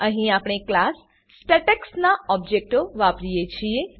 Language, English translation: Gujarati, Here we create objects of class statex